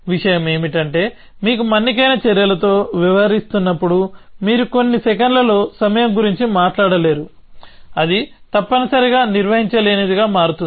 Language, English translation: Telugu, The thing is that when you are dealing with durative actions, you cannot talk about time going in know seconds or something like that, that would become simply unmanageable essentially